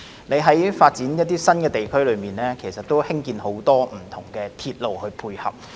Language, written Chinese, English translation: Cantonese, 你在發展一些新地區時興建很多不同的鐵路配合。, You have proposed the construction of various railway facilities to complement the development of some new districts